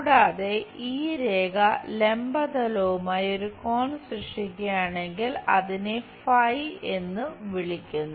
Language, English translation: Malayalam, And, if this line making an angle with the vertical plane, then we call it phi or phi